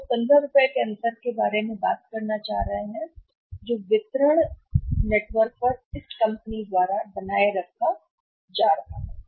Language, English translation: Hindi, We are talking about that earlier the the the the 15 rupees difference which was going to the; which was going to the distribution network now it is being retained by the company